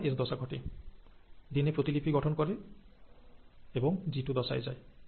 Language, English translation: Bengali, Then the S phase happens, the DNA gets duplicated, passes on, goes to the G2 phase, right